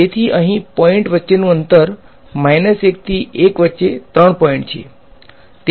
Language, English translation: Gujarati, So, here the spacing between the points so, it is 3 points between minus 1 to 1